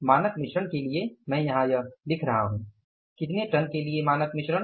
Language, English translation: Hindi, For a standard mix of I am writing here for a standard mix of how many tons 20 tons